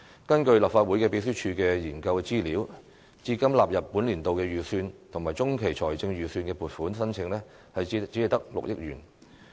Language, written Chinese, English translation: Cantonese, 根據立法會秘書處的研究資料，至今納入本年度預算及中期財政預測的撥款申請只有6億元。, According to a research brief issued by Legislative Council Secretariat only 600 million of the funding earmarked has been included in the Estimates and Medium Range Forecast this year